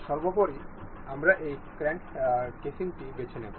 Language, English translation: Bengali, First of all, we will pick this crank casing